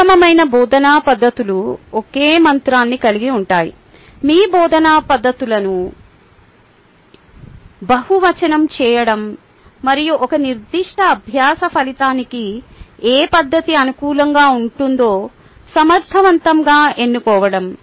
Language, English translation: Telugu, the best teaching practices involves a single mantra: to realize your teaching methods and choose effectively which method is suitable for a particular learning outcome